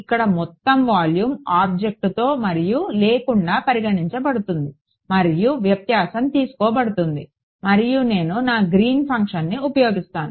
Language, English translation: Telugu, Here the entire volume is considered with and without object and the difference is taken and then I use my Green’s function